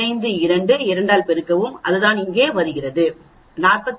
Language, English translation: Tamil, 03 minus 15 square multiplied by 2 that is what comes here, 43